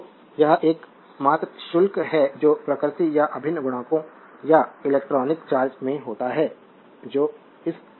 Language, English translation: Hindi, So, this is your the only charges that occur in nature or integral multiples or the electronic charge that is this value